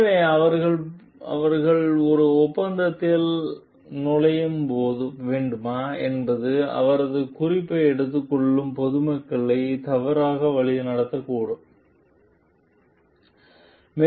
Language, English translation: Tamil, So, whether she should enter into an agreement like they should not be misleading the public taking her reference